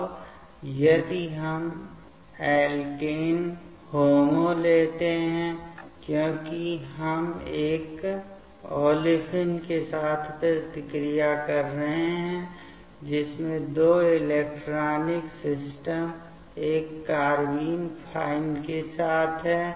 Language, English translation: Hindi, Now, if we take alkene HOMO, because we are reacting with a olefin having π2 electronic system with a carbene fine